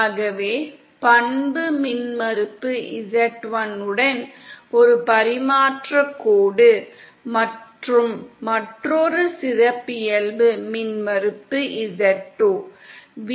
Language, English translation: Tamil, So we have one transmission line with characteristic impedance z1, & another with characteristic impedance z2